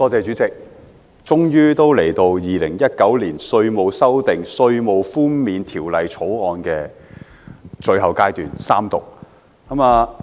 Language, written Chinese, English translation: Cantonese, 主席，終於來到《2019年稅務條例草案》的最後階段——三讀。, President we have ultimately come to the final stage the Third Reading of the Inland Revenue Amendment Bill 2019 the Bill